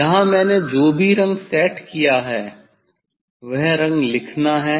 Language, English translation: Hindi, here colour whatever I have set here